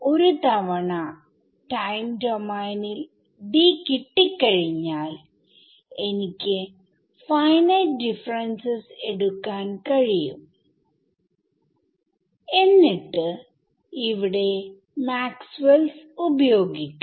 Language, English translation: Malayalam, Once I get D in the time domain, I can take finite differences and use Maxwell’s equations over here